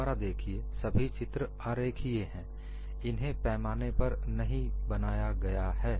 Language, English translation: Hindi, See again, these are all schematic figures; these are not drawn to scale